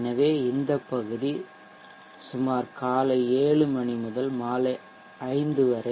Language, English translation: Tamil, So around 7am to 5 p